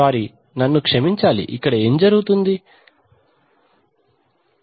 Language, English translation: Telugu, I am sorry, what is this happening here